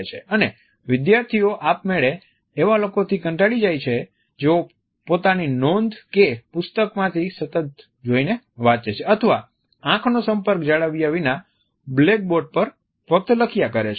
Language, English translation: Gujarati, And they automatically are rather bored with those people who are referring to their notes continuously or simply writing on the blackboard without maintaining an eye contact